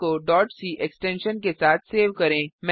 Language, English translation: Hindi, Save the file with .c extension